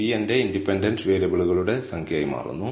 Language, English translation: Malayalam, P becomes my number of independent variables